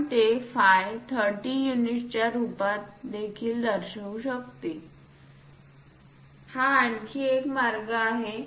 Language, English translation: Marathi, One can also show it in terms of phi 30 units this is another way